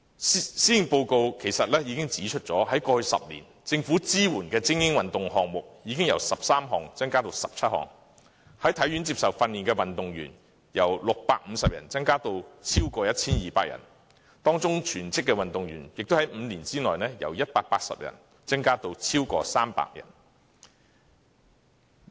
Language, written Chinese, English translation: Cantonese, 施政報告已經指出，政府過去10年支援的精英運動項目已經由13項增加至17項，在體院接受訓練的運動員由650人增加至超過 1,200 人，當中全職運動員在5年內亦由180人增加至超過300人。, According to the Policy Address the number of elite sports supported by the Government has increased from 13 to 17 in the last 10 years the number of athletes receiving training in HKSI has risen from 650 to over 1 200 with full - time athletes among them increasing from 180 to over 300 within five years